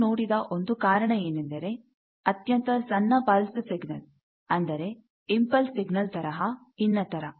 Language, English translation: Kannada, One of the reasons also is that as you have seen that those very short pulse, type pulse of signals like impulse signals, etcetera